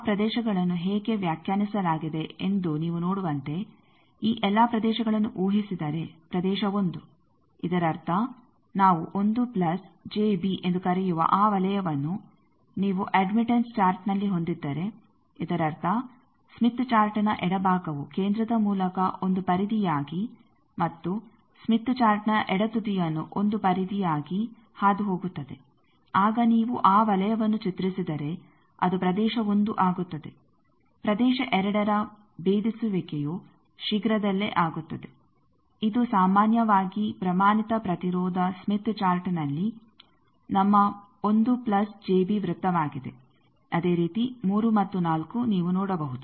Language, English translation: Kannada, As you can see how that regions are defined all these regions suppose region one; that means, if you are having that in the admittance chart, what we call 1 plus j b that circle that; that means, the left part of the smith chart where it is passing through centre as 1 periphery and the left end of smith chart 1 periphery then if you draw that circle that is region 1, the region 2 differentiating is soon which is generally our 1 plus j b circle in the standard impedance smith chart similarly the 3 and 4, you can see